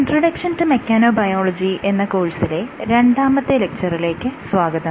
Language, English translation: Malayalam, Hello, and welcome to our second class on our NPTEL course Introduction to Mechanobiology